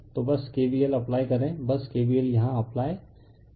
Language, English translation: Hindi, So, you just apply K v l, just apply K v l here, right